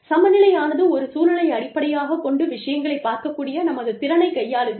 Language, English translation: Tamil, Equitability deals with, our ability to look at things, from a contextual point view